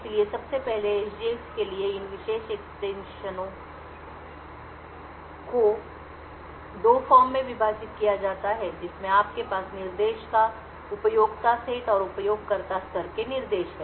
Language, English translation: Hindi, So first of all these special extensions for SGX are divided into 2 form one you have the Privileged set of instructions and the user level instructions